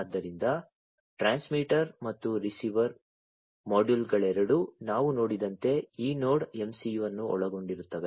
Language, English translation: Kannada, So, both the transmitter and the receiver modules consist of this NodeMCU as we have seen